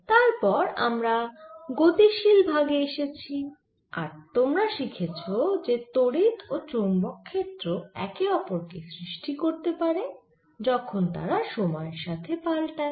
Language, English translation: Bengali, then we came to the dynamics part and you learnt how electric and magnetic fields can give raise to each other through when the change time